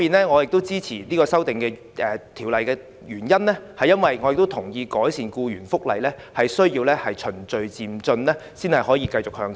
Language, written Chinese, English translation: Cantonese, 我支持政府修正案的原因，是我同意改善僱員福利需要循序漸進才能繼續向前走。, I support the Governments legislative amendment because I agree that any improvement on employees benefits should be implemented progressively . This is the only way to take this matter forward